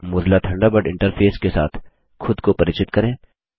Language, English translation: Hindi, First, lets familiarise ourselves with the Mozilla Thunderbird interface